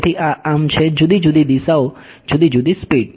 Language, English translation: Gujarati, So, this is so, different directions different speeds